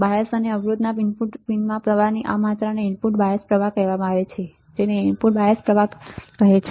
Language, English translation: Gujarati, This amount of current that flows into input pins of the bias and resistor are called input bias currents that are called input bias currents